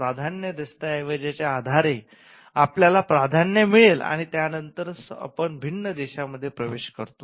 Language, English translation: Marathi, Based on the priority document, you get a priority and then you enter different countries